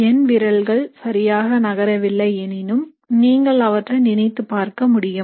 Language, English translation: Tamil, My fingers are not moving that well, but you can imagine them